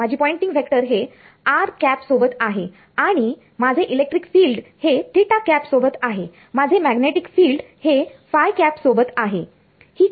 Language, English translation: Marathi, So, my Poynting vector is along r hat and my electric field is along theta hat my magnetic field is along